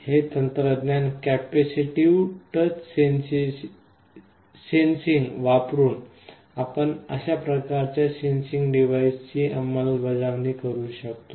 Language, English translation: Marathi, This is one technology the capacitive touch sensing using which we can implement such kind of a sensing device